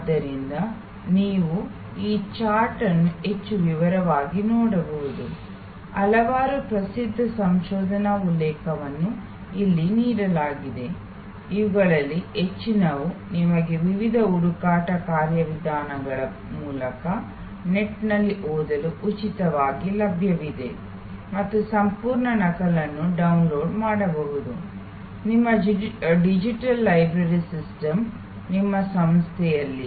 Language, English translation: Kannada, So, you can look at this chart more in detail, there are number of famous research references are given here, lot of these are available for free for you to read on the net through the various search mechanisms and full complete copy can be downloaded through your digital library system, at your institute